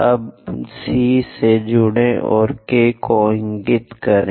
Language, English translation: Hindi, Now join C and point K